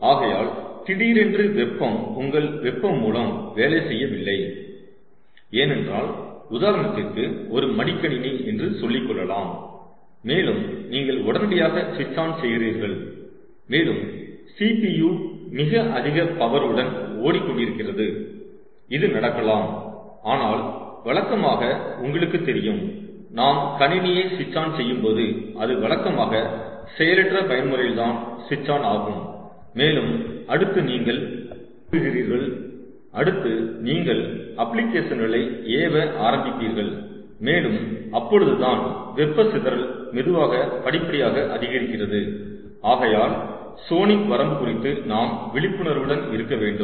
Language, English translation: Tamil, so suddenly, if, if the heat, if lets say, your heat source is not working, lets say in a laptop for example, and then you suddenly switch it on and the cpu is running at, running at very high power, this may happen, but typically, you know, when we switch on on a computer, it typically switch is on in an idle mode and then you start, then you start launching applications and that is when the heat dissipation slowly, gradually, ah, increases